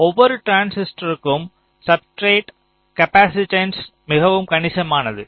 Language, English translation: Tamil, so for every transistor the gate to substrate capacitance is quite substantial